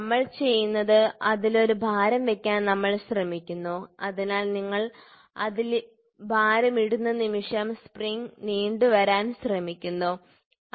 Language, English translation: Malayalam, So, what we do is, we try to put a weight on it the; so, movement you put a weight on it the spring tries to stretch, ok